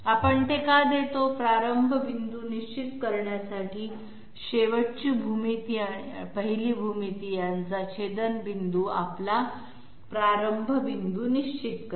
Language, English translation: Marathi, Why do we give that, to determine the starting point, the intersection of the last geometry and the first geometry will determine our starting point